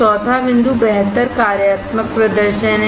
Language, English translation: Hindi, The fourth point is better functional performance